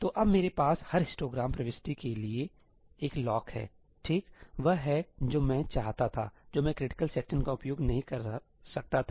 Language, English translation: Hindi, So, now, I have one lock for every histogram entry; that is what I wanted, which I could not do using critical sections